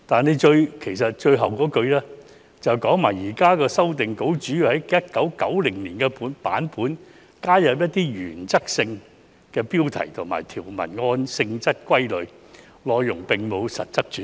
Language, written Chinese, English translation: Cantonese, 而局長在最後一句說："現時的修訂稿主要是在1990年的版本加入一些原則性標題及將條文按性質歸類，內容並沒有很大的實質改變"。, And the Secretary said in the last sentence the current revision of the Code mainly involves the addition of guiding principles as section headings to the 1990 version and categorization of the provisions according to their nature . There were no substantial changes in the content